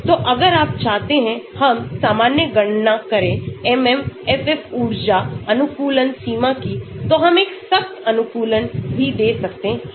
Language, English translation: Hindi, So, if you want we can calculate with the MMFF energy optimization limit is normal so we can give a strict optimization also